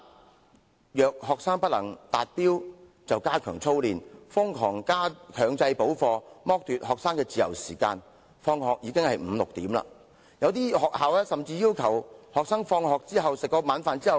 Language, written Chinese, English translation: Cantonese, 至於那些不能達標的學生，學校唯有加強操練，瘋狂強制補課，剝奪學生的自由時間，以致他們要到傍晚五六時才可以放學回家。, When it comes to those students who cannot meet the standard schools can only step up drills by obliging them to take extra lessons in a frenetic manner and deprive them of their free time . As a result they cannot go home until five or six in the evening